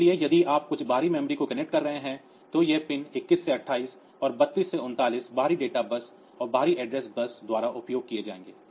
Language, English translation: Hindi, So, these all these pins 21 to 28 and 20 20 32 to 39, they will be used by the external data bus external address and data bus